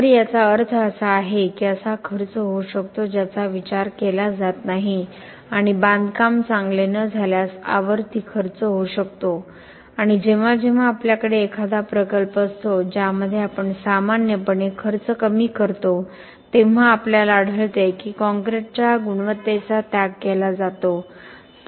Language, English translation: Marathi, So, this means that there could be expenditure that is not contemplated and a recurring expenditure if construction is not done well and whenever we have a project where we are cutting down on cost normally, we find that the quality of concrete is sacrificed